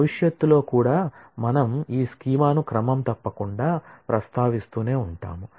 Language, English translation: Telugu, We will keep on regularly referring to this schema in future as well